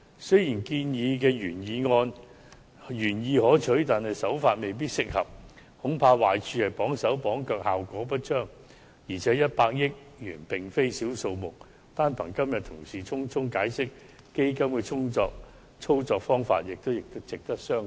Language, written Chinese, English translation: Cantonese, 雖然建議的原意可取，但手法未必適合，恐怕壞處是綁手綁腳，效果不彰，而且100億元並非小數目，單憑同事今天匆匆解釋有關基金的操作方法，也值得商榷。, While this proposal is well - intended the approach may not be very appropriate . I am afraid it may lead to the disadvantage of posing hindrance and obstacles and fail to achieve any obvious results . Besides 10 billion is not a small sum